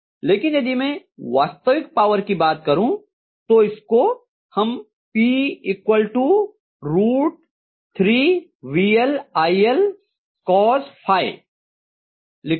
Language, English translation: Hindi, But if I try to look at what is the actual value of power normally we write, we write this as P equal to root 3 VL IL cos phi, right